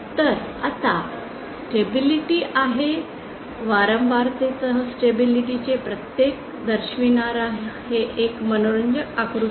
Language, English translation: Marathi, So the stability this is an interesting diagram showing the variation of stability with frequency